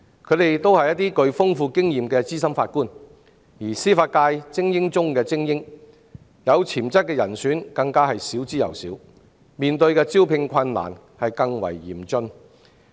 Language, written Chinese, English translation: Cantonese, 他們均是具豐富經驗的資深法官，是司法界精英中的精英，有潛質的人選更少之又少，招聘難上加難。, Yet as experienced senior Judges are the cream of the crop there are hardly any potential candidates making the recruitment extremely difficult